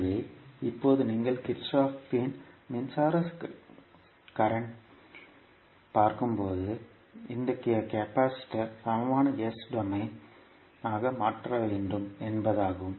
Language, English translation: Tamil, So now when you see Kirchhoff’s current law means you have to convert this capacitor into equivalent s domain